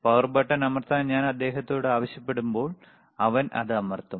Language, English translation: Malayalam, Wwhen I when I ask him to press power button, he will press it